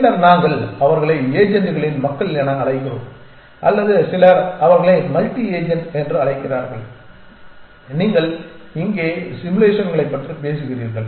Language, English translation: Tamil, populations of agents or some people call them as multi agent and you are talking about simulations here